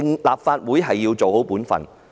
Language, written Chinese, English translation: Cantonese, 立法會要做好本分。, The Legislative Council should do its job properly